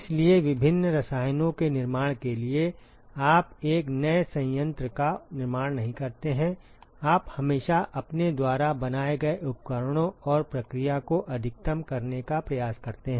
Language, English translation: Hindi, So, in order to manufacture different chemicals you do not construct a new plant you always attempt to maximize the equipments and the process that you have built